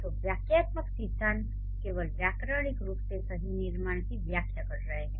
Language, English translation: Hindi, So, the syntactic theories can explain only the grammatically correct constructions